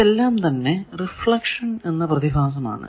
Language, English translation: Malayalam, Now, these are thing that reflection phenomena